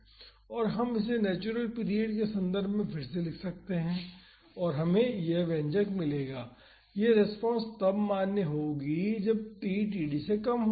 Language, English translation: Hindi, And, we can rewrite this in terms of natural period and we would get this expression and this response is valid when t is less than td